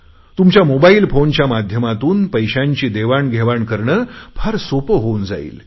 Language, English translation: Marathi, It will become very easy to do money transactions through your mobile phone